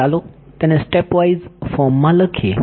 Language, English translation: Gujarati, So, let us write it in stepwise form